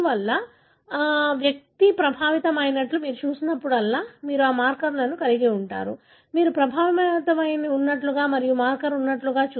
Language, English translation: Telugu, Therefore, whenever you see the individual is affected, you will have that marker, like you can see affected and the marker is present